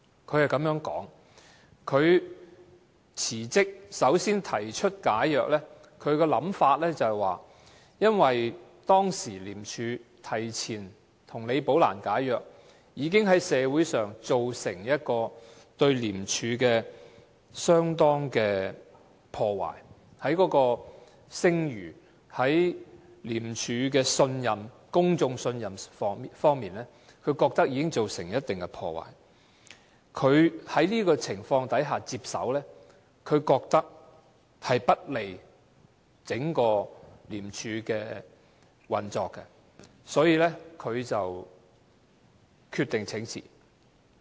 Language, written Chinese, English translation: Cantonese, 他是這樣說的：他辭職，首先提出解約，他的想法是因為當時廉署提前跟李寶蘭解約，已在社會上對廉署的聲譽造成相當的破壞，在公眾對廉署的信任方面已經造成一定的破壞，他覺得在這種情況下接手並不利於整個廉署的運作，所以他決定請辭。, This is what he said He resigned . At first he asked to resolve his employment agreement . He thought that ICACs act of resolving Rebecca LIs agreement had already caused certain damage to ICACs reputation in society and the public confidence in ICAC so his taking over the position under these circumstances would not be good to the function of the entire of ICAC